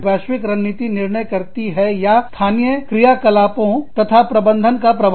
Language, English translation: Hindi, The global strategy decides, whether, the global strategy decides the, or impacts the local operations and management